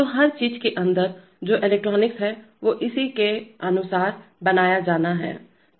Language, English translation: Hindi, So the devices themselves that is the electronics inside everything is to be made according to that